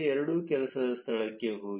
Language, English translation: Kannada, Go to the work space two